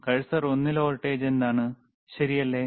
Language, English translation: Malayalam, Wwhat is the voltage onr cursor one, right